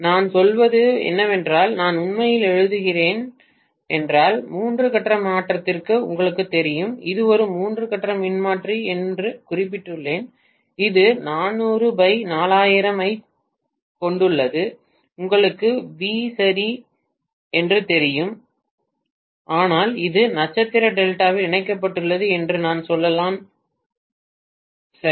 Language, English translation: Tamil, If I am actually writing you know for a three phase transform maybe I just mentioned it is a three phase transformer which is having 400 divided by 4000 you know volts ok but it is connected in star delta let us say this is what has given, right